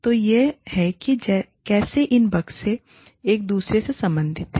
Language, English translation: Hindi, So, this is how, these boxes are related to each other